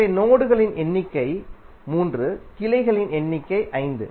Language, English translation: Tamil, So number of nodes are 3, number of branches are 5